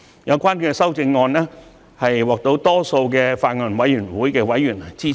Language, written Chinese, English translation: Cantonese, 有關的修正案獲法案委員會大多數委員支持。, The amendments are supported by the majority of the Bills Committee members